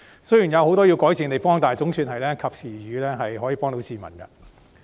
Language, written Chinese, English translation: Cantonese, 雖然有很多需要改善的地方，但總算是及時雨，可以幫助市民。, Though there is much room for improvement these measures have come as timely help to the public